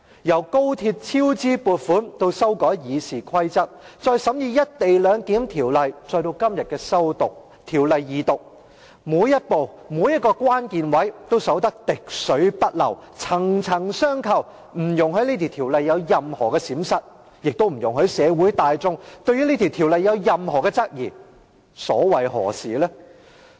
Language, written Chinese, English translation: Cantonese, 由高鐵超支撥款至修改《議事規則》，再由審議《條例草案》至今天的《條例草案》二讀程序，每一步、每一個關鍵位也守得滴水不漏，層層相扣，不容許《條例草案》有任何閃失，亦不容許社會大眾對《條例草案》有任何質疑，究竟所謂何事？, From the approval of additional funding to cover the cost overruns for the XRL project to the amendment of the Rules of Procedure and then from the scrutiny of the Bill to the Second Reading of the Bill today every step and every critical point have been guarded tightly and firmly with one linking another . Nothing is allowed to go wrong with the Bill and no one in the public is allowed to raise any questions